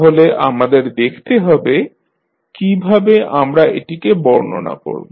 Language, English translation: Bengali, So, let us see how we describe it